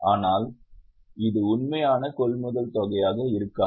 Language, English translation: Tamil, But this may not be the actual amount of purchase